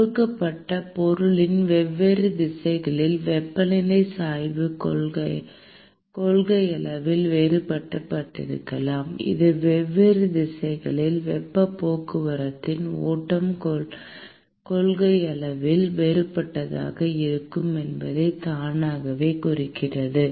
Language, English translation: Tamil, The temperature gradient can in principle be different in different directions in a given material, which also automatically implies that the flux of heat transport in different directions can in principle, be different